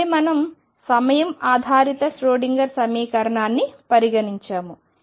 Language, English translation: Telugu, So, with this I conclude this lecture on time dependent Schroedinger equation